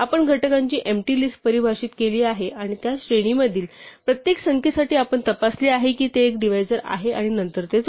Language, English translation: Marathi, So, we have defined an empty list of factors and for each number in that range we have checked it is a divisor and then add it